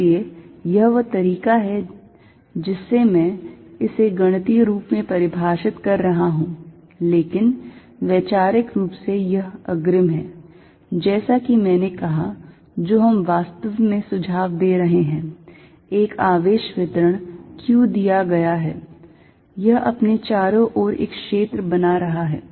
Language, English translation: Hindi, So, that is the way I am defining it mathematically, but conceptually is a advance, as I said, what we are actually suggesting is, given a charge distribution q, it is creating a field around itself